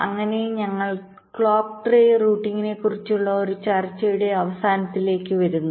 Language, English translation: Malayalam, we come to the end of a discussion on clock tree routing